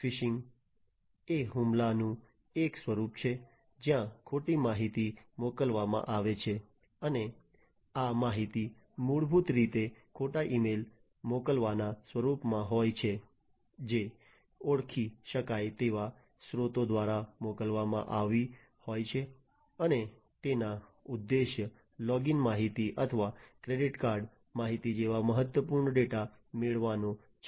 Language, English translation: Gujarati, Phishing is a form of attack where false information is sent, and these information are basically in the form of sending false emails, which have been sent through recognizable sources and the aim is to get critical data such as login information or credit card information and so on